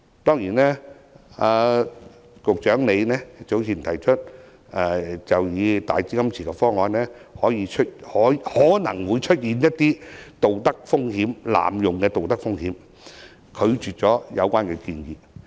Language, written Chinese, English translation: Cantonese, 當然，局長早前以"大基金池"方案可能會出現濫用的道德風險，拒絕有關建議。, Certainly the Secretary turned down the proposal earlier saying that the enhanced cash pool option may have a moral hazard of abuse